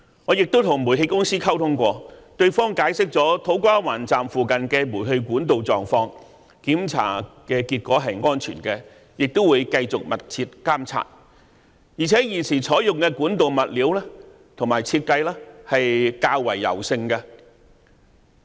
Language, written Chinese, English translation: Cantonese, 我亦曾與煤氣公司溝通，對方解釋了土瓜灣站附近的煤氣管道狀況，檢查結果顯示是安全的，亦會繼續密切監察，而現時採用的管道物料和設計也是較為柔軟的。, I have also communicated with the Towngas and the condition of the gas pipes near the To Kwa Wan Station was explained to me . The results of inspections indicated that they were safe and they would be closely monitored on a continued basis . Moreover the materials used and the design of the pipes nowadays were also more flexible